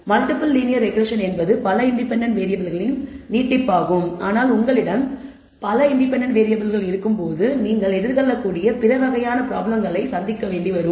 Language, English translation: Tamil, Multiple linear regression is an extension of that for multiple independent variables, but there are other kinds of problems you may encounter, when you have several variables independent variables